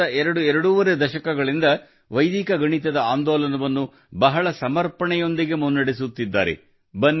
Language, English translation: Kannada, And for the last twoandahalf decades, he has been taking this movement of Vedic mathematics forward with great dedication